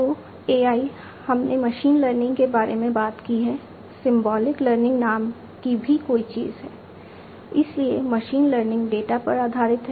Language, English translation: Hindi, So, AI we have talked about machine learning, there is also something called Symbolic Learning, Symbolic Learning